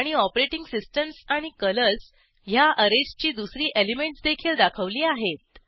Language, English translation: Marathi, And the second array element of operating systems and colors are also displayed